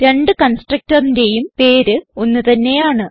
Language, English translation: Malayalam, Both the constructor obviously have same name